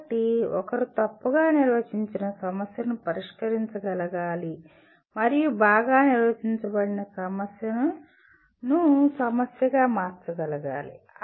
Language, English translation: Telugu, So one should be able to tackle an ill defined problem and convert into a well defined problem